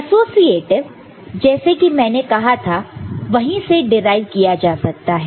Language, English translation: Hindi, Associative as I said, it can be derived from these